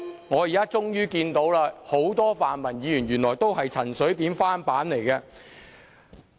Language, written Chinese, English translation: Cantonese, 我現在終於看到，原來很多泛民主派議員都是陳水扁的翻版。, I now finally realize that quite a number of pan - democratic Members here are actually clones of CHEN Shui - bian